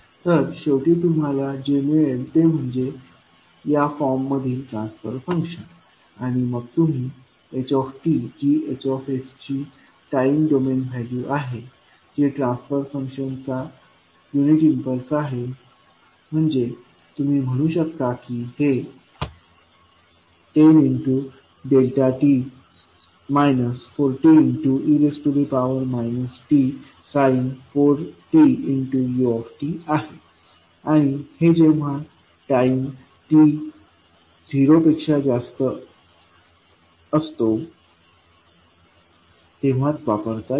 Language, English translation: Marathi, So, finally what you get is the transfer function adjust in this form and then you can say h t that is the time domain value of H s, which is nothing but the impulse response of the transfer function means you can say a 10 delta t minus 40 e to the power minus t 40 and then you multiply with unit function to say that this is applicable for time t greater than zero